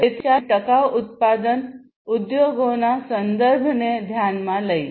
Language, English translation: Gujarati, So, let us consider the context of sustainable manufacturing industries